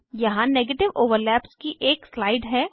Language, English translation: Hindi, Here is a slide for negative overlaps